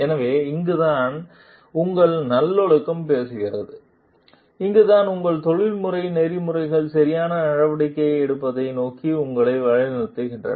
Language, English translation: Tamil, So, this is where your virtue speaks and this is where your professional ethics guides you towards taking a proper course of action